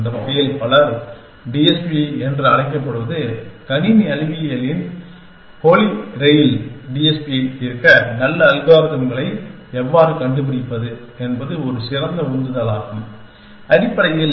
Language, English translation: Tamil, And in that sense, many people call TSP has the holy grail of computer science that, how to find good algorithms to solve TSP is a great motivator, essentially